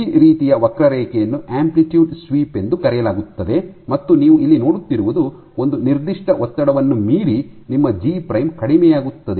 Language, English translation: Kannada, So, this kind of a net this kind of a curve is called an amplitude sweep, and what you see here is beyond a certain strain your G prime decreases